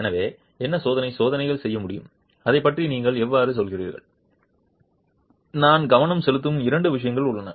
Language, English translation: Tamil, So what experimental tests can be done and how would you go about it and there are two things that I am focusing on